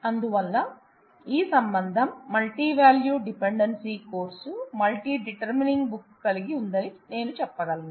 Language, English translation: Telugu, So, I can say that this relation has holds the multivalued dependency course multi determining book